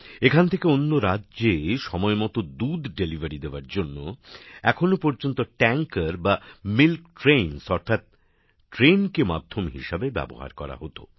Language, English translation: Bengali, For the timely delivery of milk here to other states, until now the support of tankers or milk trains was availed of